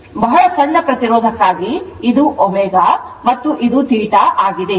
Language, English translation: Kannada, So, for very small resistance this this is your omega and this is theta